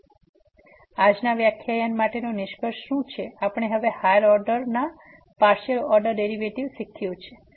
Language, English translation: Gujarati, So, what is the conclusion for today’s lecture we have now learn the partial order derivative of higher order